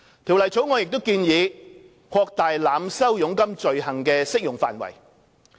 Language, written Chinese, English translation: Cantonese, 《條例草案》亦建議擴大濫收佣金罪行的適用範圍。, The Bill also proposes to expand the scope of application of the overcharging offence